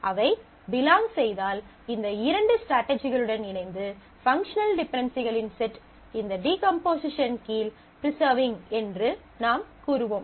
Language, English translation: Tamil, If they do, then combined with these two strategies you say that the set of functional dependencies are preserved under this decomposition